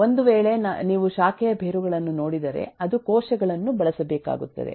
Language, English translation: Kannada, so if you look at branch roots, it has to use cells